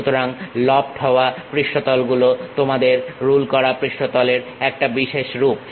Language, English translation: Bengali, So, lofter surface is a specialized form of your ruled surface